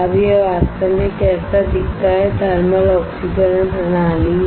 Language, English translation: Hindi, Now this is how it actually looks like, this is the thermal oxidation system this is the thermal oxidation system